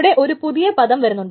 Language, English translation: Malayalam, So that's the emerging term